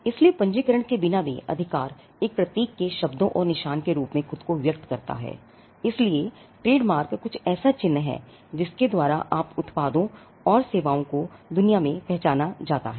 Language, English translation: Hindi, So, without even without registration the right is express itself in the form of a symbol’s words and marks so, that trademark is something it is a mark by which your products and services are identified by the world